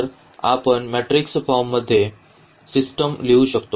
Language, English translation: Marathi, So, we can write down the system in the matrix form as well